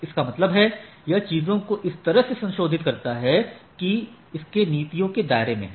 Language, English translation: Hindi, That means, it modifies the things in a such a way that, which is within its policy paradigm